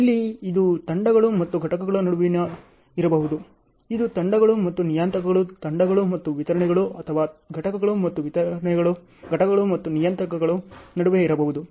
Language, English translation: Kannada, Here also it can be between teams and components, it can be between teams and parameters, teams and deliverables, or components and deliverables, components and parameters